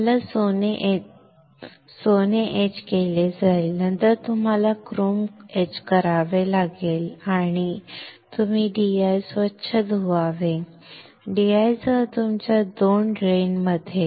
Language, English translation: Marathi, You have to etch the gold, then you have to etch the chrome and you rinse the DI; in between your two drains with DI